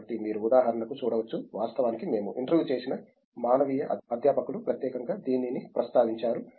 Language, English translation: Telugu, So, you can look at for example, in fact, the humanities faculty we interviewed was specifically mentioning that